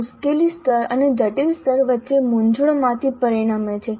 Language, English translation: Gujarati, These results from a confusion between difficulty level and complex level